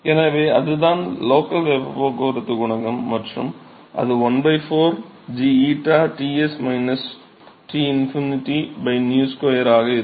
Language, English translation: Tamil, So, that is the local heat transport coefficient and that will be 1 by 4 g times eta Ts minus Tinfinity by nu square